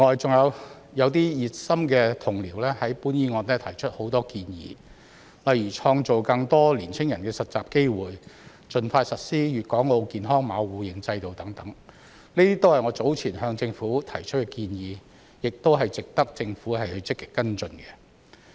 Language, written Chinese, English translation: Cantonese, 此外，熱心的同僚就本議案提出了很多建議，例如創造更多年輕人的實習機會、盡快實施粵港澳健康碼互認制度等，這些均是我早前向政府提出的建議，亦值得政府積極跟進。, In addition enthusiastic colleagues have put forward a lot of suggestions in respect of this motion such as creating more internship opportunities for young people and implementing the mutual recognition system for health codes of Guangdong Hong Kong and Macao at the earliest possible time . These are all the suggestions that I have made to the Government previously and they warrant active follow - up actions by the Government